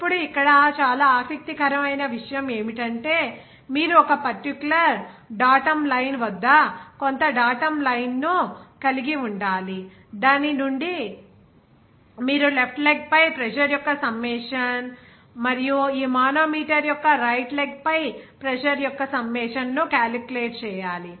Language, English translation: Telugu, Now, very interesting point here that you have to some datum line at a particular datum line from which you have to calculate that summation of pressure on the left leg and summation of the pressure on the right leg of this manometer